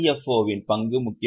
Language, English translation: Tamil, The role of CFO is also becoming important